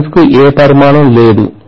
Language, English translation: Telugu, Turns do not have any dimension